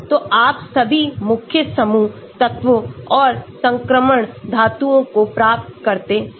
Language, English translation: Hindi, so you get all the main group elements and transition metals